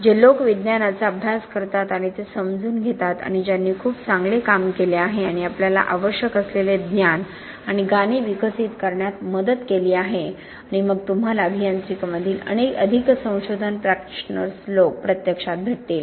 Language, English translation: Marathi, People who delve into the science and make sense of it, and who have done extremely good work and help us to develop the knowledge and song that we need, and then you get engineering more the research practitioners, people who put that into practice